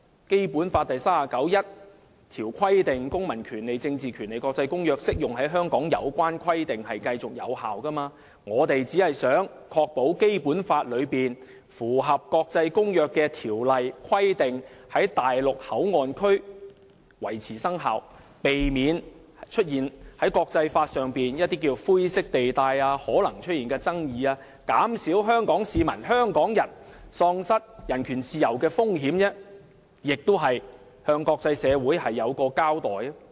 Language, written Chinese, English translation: Cantonese, 《基本法》第三十九條訂明"《公民權利和政治權利國際公約》......適用於香港的有關規定繼續有效"。因此，我們只想確保《基本法》內有關繼續履行國際公約條文的規定，在內地口岸區維持生效，避免在國際法上出現一些灰色地帶和可能出現的爭議，減少香港市民喪失人權自由的風險，亦是向國際社會作出交代。, It is stipulated in Article 39 of the Basic Law that The provisions of the International Covenant on Civil and Political Rights as applied to Hong Kong shall remain in force The amendment only intends to ensure that the Basic Laws provision on the continuous implementation of the international covenants will remain in force at MPA thus avoiding any possible grey area and disputes over the implementation of international law reducing the risk of Hong Kong people being deprived of human rights and freedoms and enabling us to be accountable to the international community